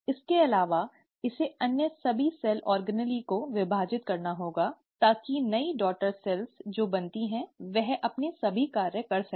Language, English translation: Hindi, Also, it has to divide all the other cell organelles, so that the new daughter cell which is formed, can do all its functions